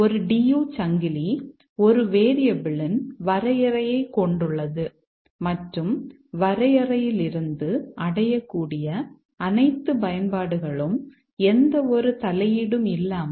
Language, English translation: Tamil, A DU Chain, a DU chain consists of a definition of a variable and all uses that are reachable from that definition without any intervening definition